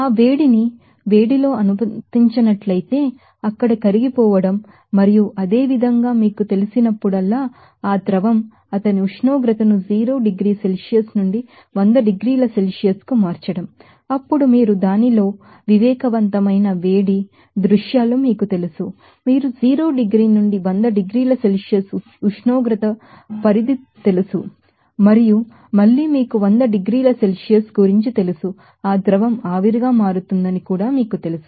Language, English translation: Telugu, So, that heat will be called as let in heat of you know that melting there and similarly, that liquid whenever you know, changing his temperature from 0 degree Celsius to 100 degrees Celsius, then you will see there will be you know sensible heat scenes within this you know temperature range of 0 to 100 degrees Celsius and again at that you know 100 degree Celsius it will see that liquid will you know become vapor